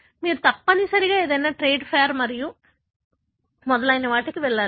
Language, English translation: Telugu, You must have gone to some trade fair and so on